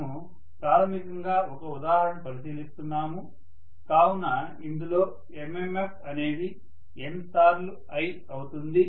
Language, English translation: Telugu, So I would say that MMF in this particular case, so we are considering an example basically, so in this MMF will be N times I, right